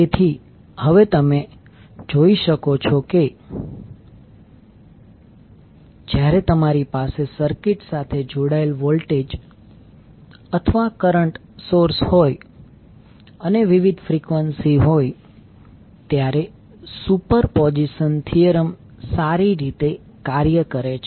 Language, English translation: Gujarati, So now you can see that superposition theorem works well when you have voltage or current sources connected to the circuit and having the different frequencies